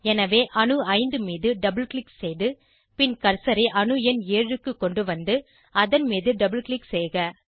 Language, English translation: Tamil, So, double click on atom 5 and bring the cursor to atom number 7 and double click on it